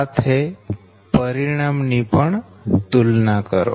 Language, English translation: Gujarati, also compare the result